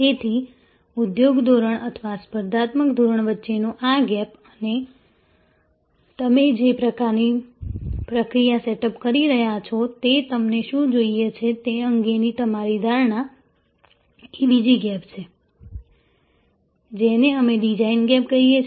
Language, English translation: Gujarati, So, this gap between industry standard or competitive standard and your perception of what you want the process that you are setting up is the second gap, what we called design gap